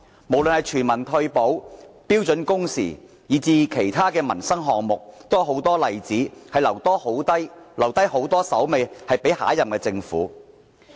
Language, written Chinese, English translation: Cantonese, 無論全民退保、標準工時，以至其他民生項目也有很多例子，留下很多工作給下任政府跟進。, Examples are universal retirement protection standard working hours and many other issues about the peoples livelihood . Many of his unfinished tasks will have to be handled by the next Government then